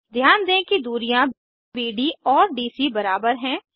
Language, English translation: Hindi, Notice that distances BD and DC are equal